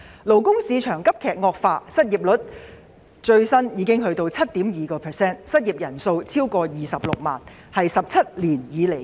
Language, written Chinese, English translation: Cantonese, 勞工市場急劇惡化，最新失業率高達 7.2%， 失業人數超過26萬人，創17年新高。, The labour market has deteriorated sharply with the latest unemployment rate reaching a 17 - year high of 7.2 % with more than 260 000 people out of work